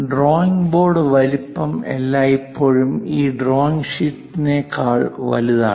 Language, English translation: Malayalam, The drawing board size is always be larger than this drawing sheet